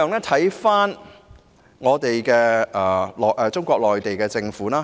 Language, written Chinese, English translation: Cantonese, 此外，可看看中國內地的情況。, In addition we may look at the situation in Mainland China